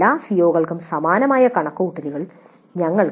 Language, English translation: Malayalam, We can do similar computations for all the other COs also